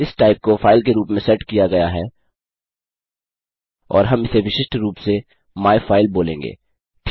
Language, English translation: Hindi, This type is set to file and well call it myfile to be specific